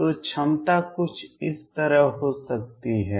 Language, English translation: Hindi, So, potential could be something like this